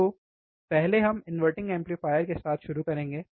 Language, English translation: Hindi, So, first we will start with the inverting amplifier